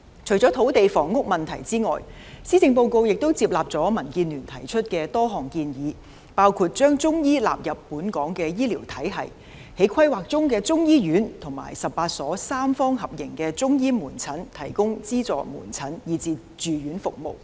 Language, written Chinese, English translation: Cantonese, 除了土地房屋問題之外，施政報告亦接納了民建聯提出的多項建議，包括將中醫納入本港醫療體系、在規劃中的中醫院及18所三方合營的中醫門診提供資助門診和住院服務。, Apart from the land and housing issues the Policy Address has also taken on board a number of suggestions made by DAB including the incorporation of Chinese medicine into the health care system in Hong Kong as well as the provision of subsidized outpatient services and inpatient services in the planned Chinese medicine hospital and 18 Chinese Medicine Centres operating under a tripartite model